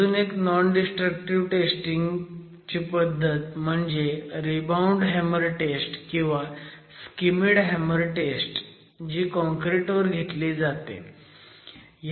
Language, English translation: Marathi, Another test which is a non destructive test that all of you would be aware of is the rebound hammer or the Schmidt hammer test that you use for concrete